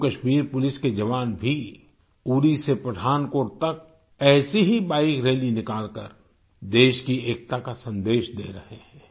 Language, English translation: Hindi, Personnel of Jammu Kashmir police too are giving this message of unity of the country by taking out a similar Bike Rally from Uri to Pathankot